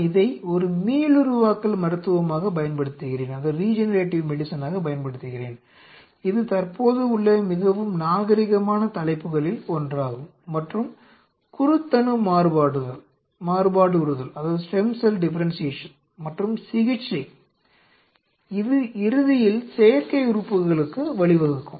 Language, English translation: Tamil, I use this as a regenerative medicine, where which is one of the very fashionable topics currently and the stem cell differentiation and therapy, and which eventually may lead to artificial organs